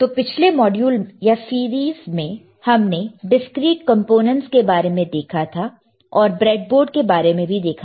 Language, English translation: Hindi, So, last module or series, short lecture, we have seen about the discrete components, and we have seen about the breadboard, right